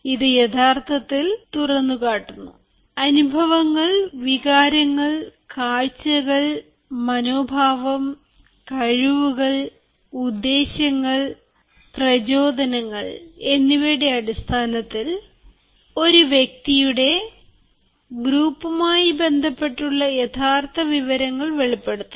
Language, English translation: Malayalam, it actually exposes, it actually represents information in the form of experiences, feelings, views, attitudes, skills, intentions, motivations within or about a person in relation to their group